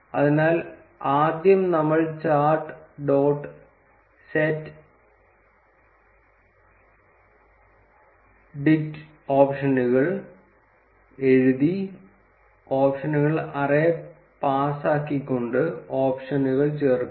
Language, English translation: Malayalam, So, first we would add the options by writing chart dot set dict options and passing the options array